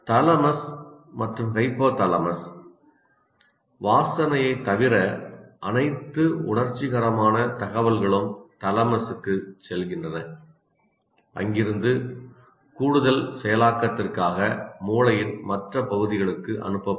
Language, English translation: Tamil, All sensory information except smell goes to the thalamus from where it is directed to other parts of the brain for additional processing